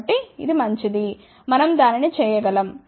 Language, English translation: Telugu, So, it is fine, we can do that